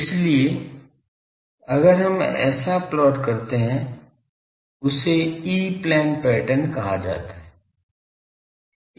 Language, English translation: Hindi, So, if we plot that that is called E plane pattern